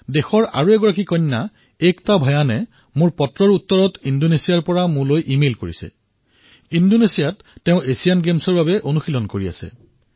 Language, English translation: Assamese, Ekta Bhyan, another daughter of the country, in response to my letter, has emailed me from Indonesia, where she is now preparing for the Asian Games